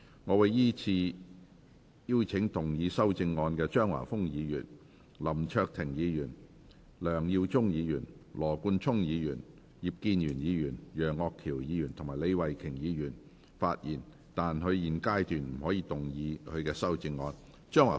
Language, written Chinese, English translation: Cantonese, 我會依次請要動議修正案的張華峰議員、林卓廷議員、梁耀忠議員、羅冠聰議員、葉建源議員、楊岳橋議員及李慧琼議員發言；但他們在現階段不可動議修正案。, I will call upon Members who move the amendments to speak in the following order Mr Christopher CHEUNG Mr LAM Cheuk - ting Mr LEUNG Yiu - chung Mr Nathan LAW Mr IP Kin - yuen Mr Alvin YEUNG and Ms Starry LEE; but they may not move the amendments at this stage